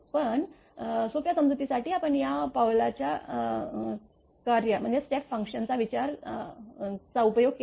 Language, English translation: Marathi, But for easy understanding we have used the step function